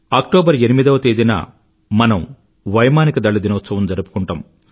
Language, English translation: Telugu, We celebrate Air Force Day on the 8th of October